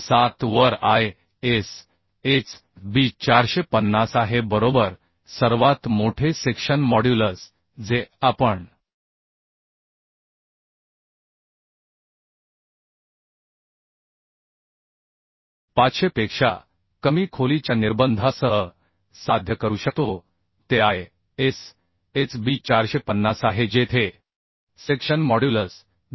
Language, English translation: Marathi, 907 right largest section modulus we could achieve which is with the restriction of the depth as below 500 as ISHB 450 where the section modulus is 2030